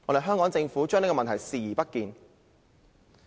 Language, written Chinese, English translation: Cantonese, 香港政府對問題視而不見。, The Hong Kong Government has turned a blind eye to the problem